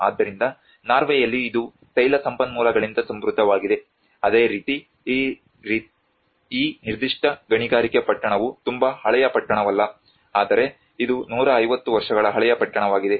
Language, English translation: Kannada, So whereas in Norway it is rich in oil resources so similarly this particular mining town has been not a very old town, but it is hardly 150year old town